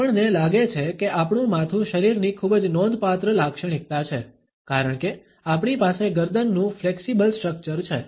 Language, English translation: Gujarati, We find that our head is a very significant body feature, because we have a flexible neck structure